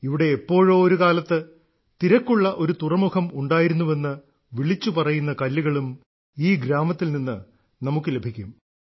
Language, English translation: Malayalam, You will find such stones too in thisvillage which tell us that there must have been a busy harbour here in the past